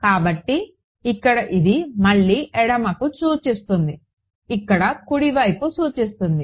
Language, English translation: Telugu, So, here this again refers to left this here refers to right ok